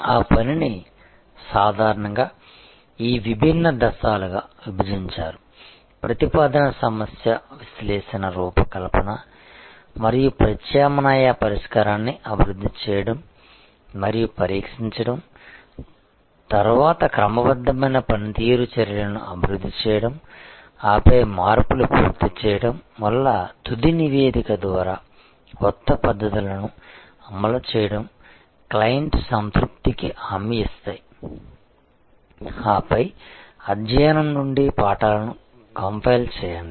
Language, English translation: Telugu, That work will be divided usually in these different steps proposal problem analysis design and develop and test alternative solution, then develop systematic performance measures, then deploy the new methods through a final report as the implementations are done of the changes assure client satisfaction and then, compile the lessons from the study